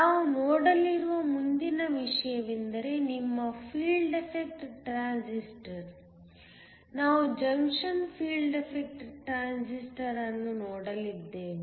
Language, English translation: Kannada, The next thing we are going to look at is your Field effect transistor; we are going to look at a Junction Field effect transistor